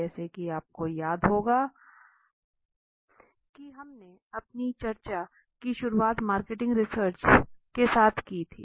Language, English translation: Hindi, As we remember we had started our discussion with what is marketing research